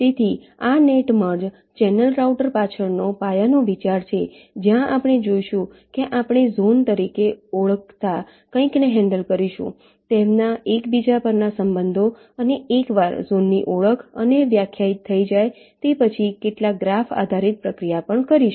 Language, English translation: Gujarati, ok, so this is the basis idea behind net merge channel router, where we shall see that we shall be handling something called zones, the relationships upon each other, and also some graph based means, processing once the zones are indentified and defined